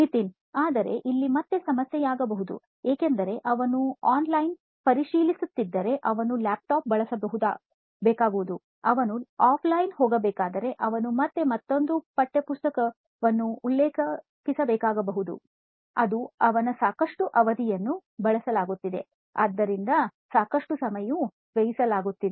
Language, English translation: Kannada, This could again be a problem because he has to go to some other kind of a resource may be if he is checking online he has to use a laptop, if he has to go offline he again has to refer another textbook, so it amounts too lot of space being consumed, a lot of time being consumed for it is learning activity to take place